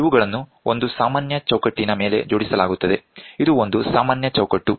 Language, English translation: Kannada, This is that are mounted on a common frame this is a common frame